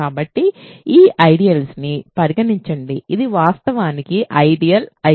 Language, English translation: Telugu, So, consider this ideal, this is actually an ideal I